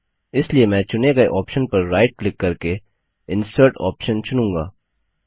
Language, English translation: Hindi, So, I shall right click on the selection and choose Insert option